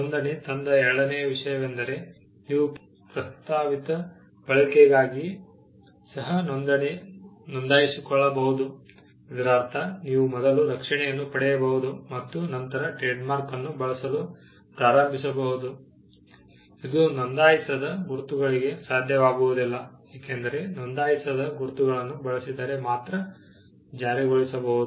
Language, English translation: Kannada, The second thing that registration brought about was, you could also register for a proposed use, which means you could get the protection first and then start using the trade mark, which was not possible for unregistered marks because, unregistered marks could only be enforced, if they were used